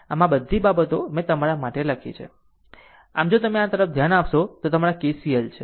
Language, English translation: Gujarati, So, all these things I wrote for you; so, if you look into this if you look into this that your your KCL 1